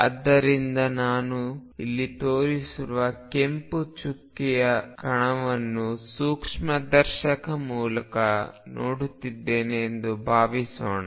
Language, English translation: Kannada, So, consider this suppose I am looking at a particle shown here by a red dot through a microscope is the lens